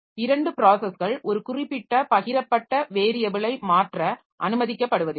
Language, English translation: Tamil, So, it is not that two processes they are allowed to modify one particular shared variable